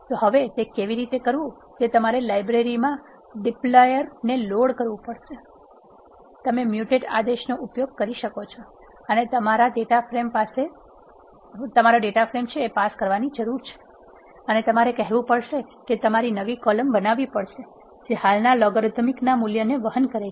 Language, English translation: Gujarati, So now, how to do that is you have to load the library dplyr, you can use mutate command and you need to pass the data frame and you have to say, you have to create new column which is carrying the values of logarithm the existing column BP